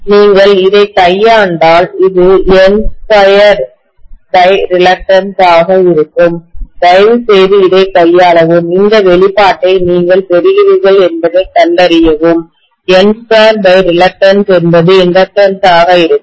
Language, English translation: Tamil, If you manipulate it, you will get this to be N square by reluctance, please manipulate this and find out whether you are getting this expression, N square by reluctance will be the inductance